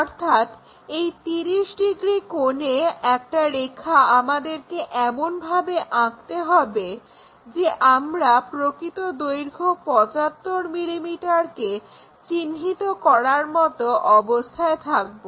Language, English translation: Bengali, So, 30 degree angle a line we have to draw, in such a way that we will be in a position to mark true length 75 mm